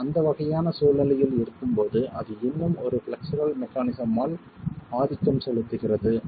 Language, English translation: Tamil, When we are in that sort of a situation, it can still be dominated by a flexural mechanism